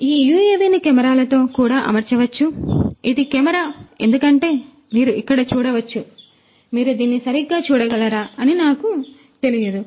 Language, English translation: Telugu, So, these this UAV could also be fitted with cameras, this is one camera as you can see over here I do not know whether you are able to see it properly